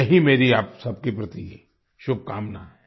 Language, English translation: Hindi, This is my best wish for all of you